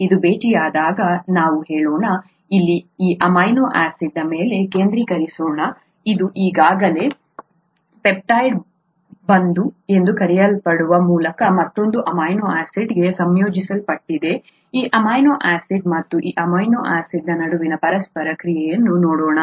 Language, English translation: Kannada, When this meets, let us say, let us just focus on this amino acid here, which is already combined to another amino acid through what is called a peptide bond; let us look at the interaction between this amino acid and this amino acid